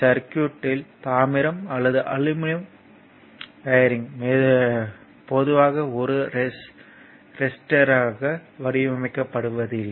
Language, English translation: Tamil, In a circuit diagram copper or aluminum wiring is copper or aluminum wiring is not usually modeled as a resistor